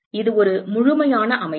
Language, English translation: Tamil, It is a complete system